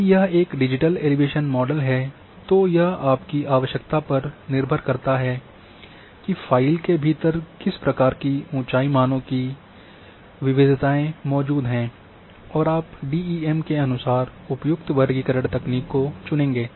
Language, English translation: Hindi, If it is a digital elevation model then it depends on your requirement one and what kind of variations of elevation values exist within a file, within a DEM accordingly you will choose the appropriate classification technique